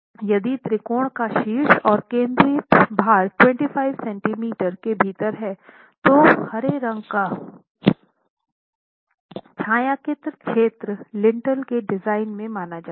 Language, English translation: Hindi, If the apex of the triangle and the concentrated load are within 25 centimeters then the shaded region, the green shaded region additionally is considered within the design of the lintel itself